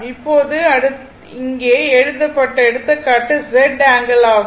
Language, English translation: Tamil, Now, next that is here written example Z angle